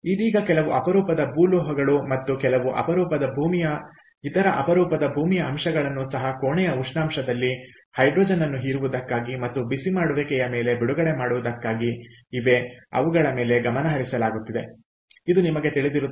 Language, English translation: Kannada, ok, right now, some rare earth metals and some rare earth other rare earth elements are being also looked upon for, ah, you know, for observing hydrogen at room temperature and releasing on heating